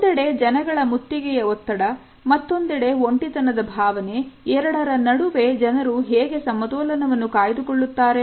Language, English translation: Kannada, So, how do people kind of maintain this balance between crowding stress on the one hand and feeling isolated on the other